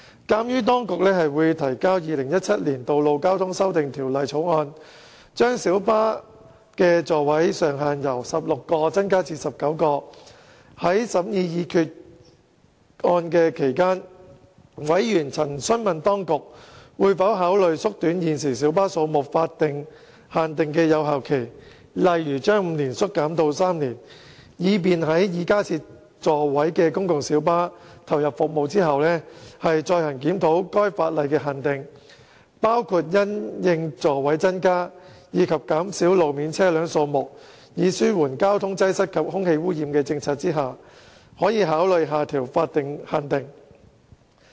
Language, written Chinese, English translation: Cantonese, 鑒於當局會提交《2017年道路交通條例草案》，將小型巴士的座位上限由16個增至19個，在審議擬議決議案期間，委員曾詢問當局會否考慮縮短現時小巴數目法定限定的有效期，例如由5年縮短至3年，以便在已加設座位的公共小巴投入服務後，再行檢討該法定限定，包括因應座位增加及減少路面車輛數目以紓緩交通擠塞和空氣污染的政策下，可考慮下調法定限定。, Given that the Administration will introduce the Road Traffic Amendment Bill 2017 which seeks to increase the maximum seating capacity of light buses from 16 to 19 seats in the course of deliberations on the proposed resolution members have asked if the Administration will consider shortening the existing effective period of the statutory limit on the number of PLBs for instance from five years to three years such that another review of the statutory limit can be conducted after those PLBs with increased seating capacity have come into service . Members hold that in tandem with the increase in seating capacity and taking into account the policy of reducing the number of vehicles on roads to ease traffic congestion and reduce air pollution considerations can be given to adjusting the statutory limit downward . In this connection members have noted that the statutory cap is only an upper limit on the number of vehicles which can be registered as PLBs